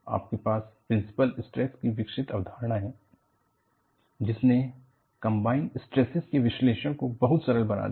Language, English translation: Hindi, You have the concept of principal stresses develop, which has greatly simplified the analysis of combined stresses